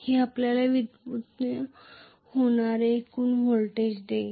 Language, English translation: Marathi, That will give you the total voltage generated that’s all,right